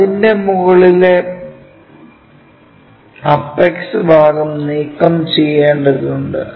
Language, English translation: Malayalam, And, the top apex part has to be removed